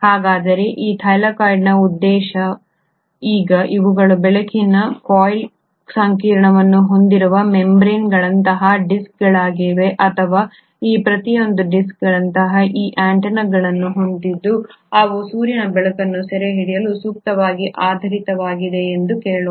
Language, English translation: Kannada, So what is the purpose of this Thylakoid, now these are disc like membranes which essentially harbour the light harvesting complex or let me say that each of these discs have these antenna like complexes which are suitably oriented so that they can capture the sunlight